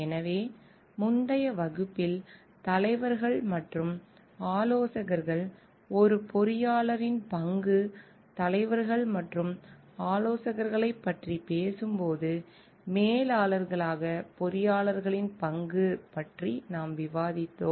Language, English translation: Tamil, So, when we are talking of leaders and consultants an engineer s role as leaders and consultants in the earlier class we have discussed about the role of engineers as managers